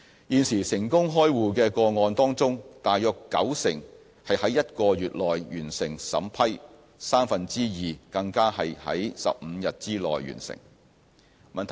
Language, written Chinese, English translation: Cantonese, 現時成功開戶個案當中大約九成是在1個月內完成審批，三分之二更是在15天內完成。, For the successful cases 90 % have their scrutiny completed within one month and two - thirds within 15 days